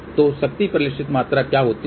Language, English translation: Hindi, So, what is power reflected